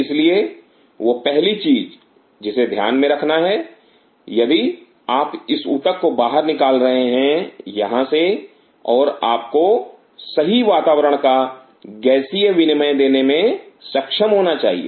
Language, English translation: Hindi, So, first thing what one has to keep in mind if you are taking out this tissue out here and you should be able to provide right milieu of gaseous exchange